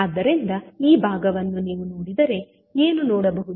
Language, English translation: Kannada, So, if you see this particular component what you can see